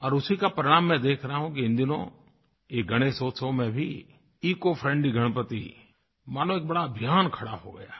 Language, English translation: Hindi, And as a result of this I find that, the ecofriendly Ganpati, in this Ganesh Festival has turned into a huge campaign